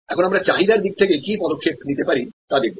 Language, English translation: Bengali, So, now, we can look at what actions can we take on the demand side